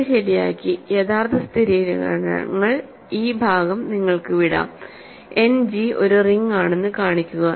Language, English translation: Malayalam, So, let me set this up and leave the actual verifications to you this part is easy, show that End G is a ring